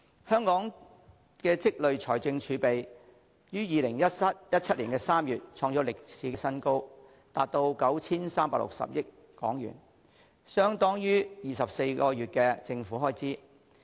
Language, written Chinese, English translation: Cantonese, 香港的累積財政儲備於2017年3月創歷史新高，達 9,360 億元，相等於24個月的政府開支。, The accumulated fiscal reserves of Hong Kong reached its historical high of 936 billion in March 2017 which is equivalent to the amount of government expenditures for 24 months